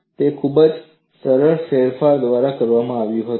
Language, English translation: Gujarati, It was done by a very simple modification